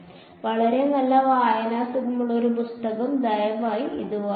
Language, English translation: Malayalam, It is a very nice readable book, please have a read through it